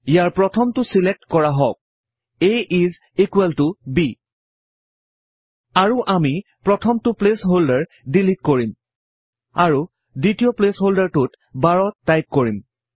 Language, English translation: Assamese, Let us select the first one: a is equal to b And we will delete the first placeholder and type 12 in the second place holder